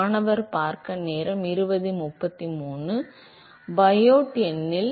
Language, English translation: Tamil, So, in Biot number